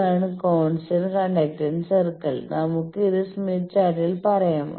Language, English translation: Malayalam, This is the constant conductance circle; let us say in the smith chart